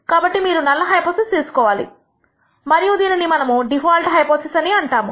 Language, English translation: Telugu, So, that you choose as the null hypothesis and what we call the default hypothesis